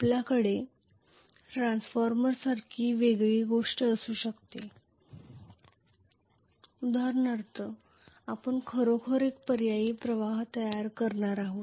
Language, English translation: Marathi, We can have a different thing like a transformer for example, where we are going to actually create an alternating flux